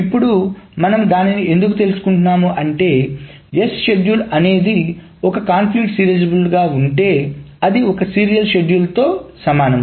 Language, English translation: Telugu, Because if a schedule S is conflict serializable, that means that it is equivalent to some serial schedule